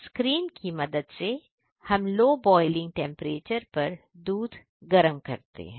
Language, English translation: Hindi, With the help of steam we heat the milk at the lower boiling temperature